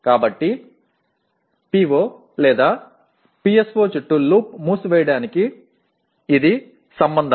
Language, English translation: Telugu, So this is the relationship for closing the loop around PO/PSO